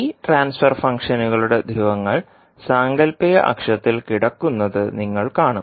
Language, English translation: Malayalam, So you will see that poles of this particular transfer functions are lying at the imaginary axis